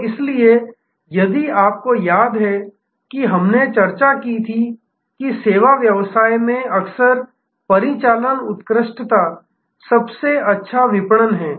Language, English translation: Hindi, So, that is why, if you remember we had discussed that in service business often operational excellence is the best marketing